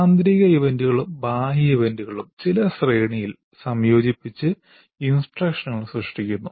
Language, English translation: Malayalam, So internal events and external events are combined together in a particular sequence to create instruction